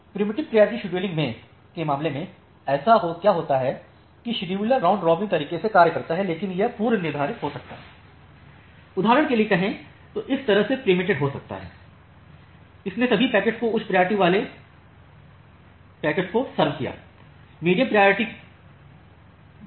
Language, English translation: Hindi, In case of preemptive priority scheduling what happens that the scheduler serves in the round robin way, but it may get preempted, preempted in the sense like say for example, it had served all the packets from the high priority queue then it comes to serve the medium priority queue